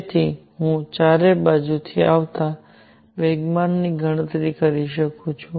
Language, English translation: Gujarati, So, I can calculate the momentum coming from all sides